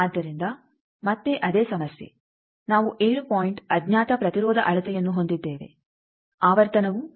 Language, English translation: Kannada, So, again the same problem that we have that 7 point unknown impedance measurement, frequency is 7